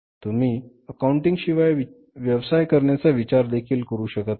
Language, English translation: Marathi, So, accounting without accounting you can't think of doing any business